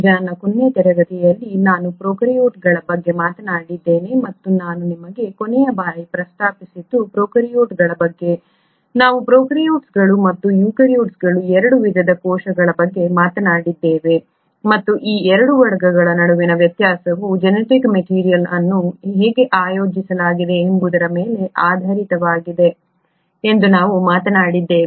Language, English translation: Kannada, Now in my last class, I spoke about prokaryotes and what I mentioned to you last time was that prokaryotes; we spoke about 2 types of cells which are the prokaryotes and the eukaryotes and we spoke that the difference between these 2 categories is based on how the genetic material is really organised